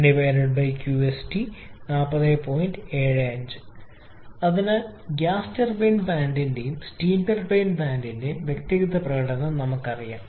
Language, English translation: Malayalam, So, we know the individual performance of the gas turbine plant and the steam turbine plant